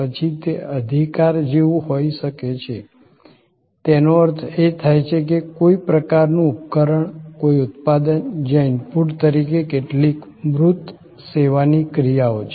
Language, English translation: Gujarati, Then, it could be like possession; that mean some kind device, some product, where there are some tangible service actions as input